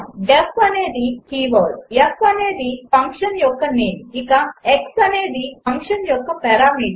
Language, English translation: Telugu, def is a keyword and f is the name of the function and x the parameter of the function